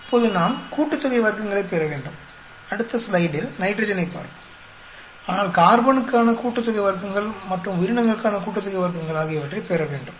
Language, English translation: Tamil, Now we need to get sum of squares for, we will, we will look at nitrogen in the next slide, but we need to get the sum of squares for carbon, sum of squares for the organisms